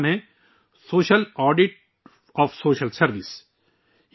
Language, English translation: Urdu, The name of the book is Social Audit of Social Service